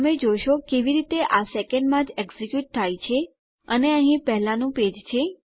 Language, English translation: Gujarati, As you can see how it executes in a second and here is my previous page